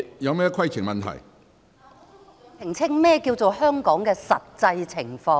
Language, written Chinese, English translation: Cantonese, 我想局長澄清何謂香港的實際情況。, I would like the Secretary to clarify what the actual circumstances in Hong Kong are